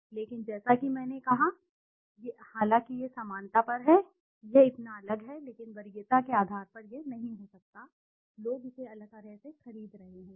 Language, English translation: Hindi, But as I said, although it is on similarity it is so different but on basis of preference it might not be, people might be purchasing it differently